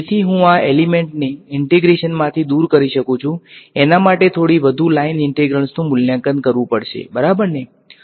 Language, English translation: Gujarati, So, I can remove these elements from the integration small price I have to pay is a few more line integrals have to be evaluated ok